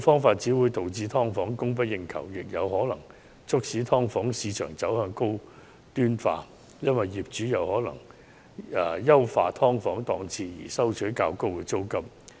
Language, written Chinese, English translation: Cantonese, 如此一來，"劏房"會供不應求，"劏房"市場更可能因此走向高端化，因為業主或會優化"劏房"檔次以求收取較高租金。, In that case with the shortage of subdivided units there may even be a shift in the market of subdivided units to the provision of high - end accommodation as landlords may upgrade the subdivided units to ask for higher rents